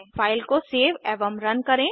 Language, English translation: Hindi, Save and run the file